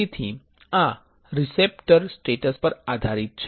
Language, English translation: Gujarati, So, these are based on receptor status